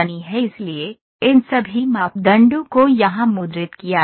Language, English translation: Hindi, So, all these parameters are printed here